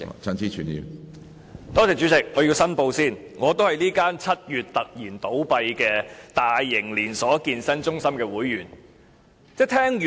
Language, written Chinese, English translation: Cantonese, 主席，我要申報，我也是這間於7月突然倒閉的大型連鎖健身中心的會員。, President I would like to declare that I am also a member of this large - scale chain fitness centre which closed down all at a sudden in July